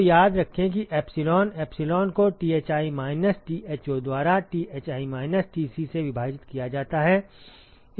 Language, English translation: Hindi, So, remember that epsilon; epsilon is given by Thi minus Tho divided by Thi minus Tci